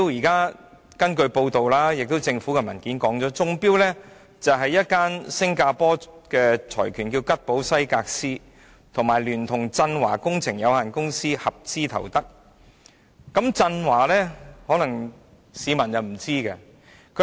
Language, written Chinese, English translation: Cantonese, 根據報道及政府的文件所指，中標的是吉寶西格斯香港有限公司這個新加坡財團與振華工程有限公司合資組成的公司。, According to reports and Government documents the successful bidder is a joint venture formed by Singapore - funded Keppel Seghers Hong Kong Limited and Zhen Hua Engineering Co Ltd We may not be familiar with Zhen Hua Engineering